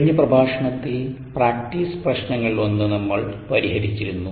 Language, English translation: Malayalam, in the last lecture we had solved a one of the ah practice problems